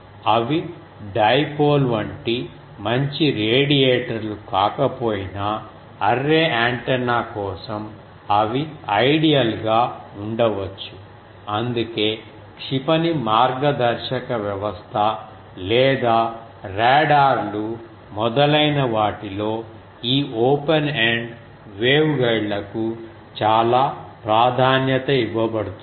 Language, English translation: Telugu, And even if they are not good radiators like dipole, but for array antenna their ideal can be there that is why, in missile guidance system or radars etc